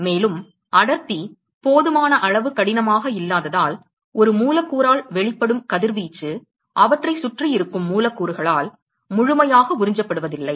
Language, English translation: Tamil, And because the density is not sufficiently tough, the radiation emitted by one molecule is not necessarily completely absorbed by the molecules which are present around them